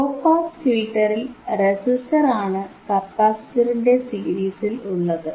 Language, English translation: Malayalam, In low pass filter, resistor and was series in capacitor, right